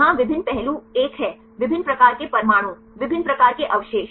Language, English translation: Hindi, Here the various aspects one is different types of atoms, different types of residues right